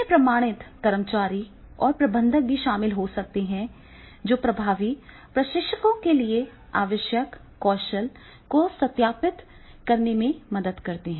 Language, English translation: Hindi, This may involve having employees and managers on a certificate that verifies they have the skills needed to be effective trainers